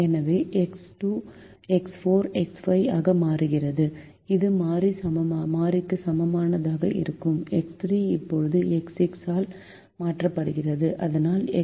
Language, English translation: Tamil, so x two becomes x four minus x five, and x three, which is less than equal to variable, is now replace by minus x six, so that x six is greater than or equal to zero